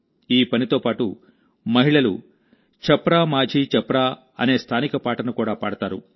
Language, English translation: Telugu, Along with this task, women also sing the local song 'Chhapra Majhi Chhapra'